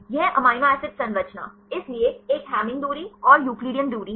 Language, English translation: Hindi, This amino acid composition; so, one is the Hamming distance and the Euclidean distance